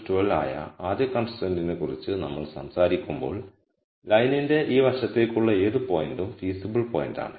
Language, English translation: Malayalam, So, when we talk about the first constraint which is less than equal to 12, then any point to this side of the line is a feasible point